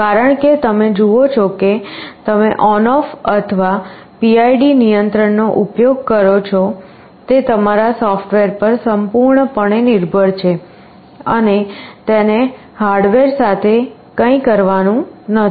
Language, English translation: Gujarati, Because, you see whether you use ON OFF or PID control depends entirely on your software, and nothing to do with the hardware